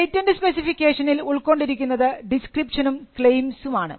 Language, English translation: Malayalam, So, the patent specification includes the description and the claims